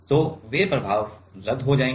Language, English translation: Hindi, So, those effects will get cancelled out